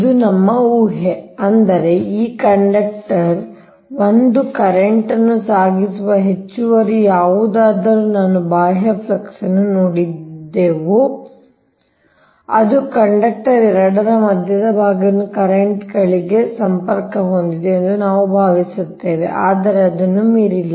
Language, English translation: Kannada, that means whatever extra, this ah conductor one carrying current i saw external flux only we assume it links up to the currents, up to the centre of the second conductor, conductor two, but not beyond that